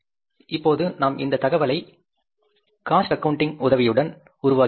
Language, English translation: Tamil, Now, we have generated this information with the help of the cost accounting